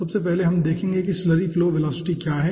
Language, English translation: Hindi, so first we will be see what is slurry flow velocity